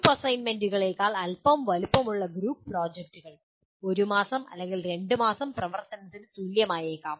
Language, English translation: Malayalam, Group projects which is slightly bigger than group assignments which will require maybe equivalent of one man month or two man month activity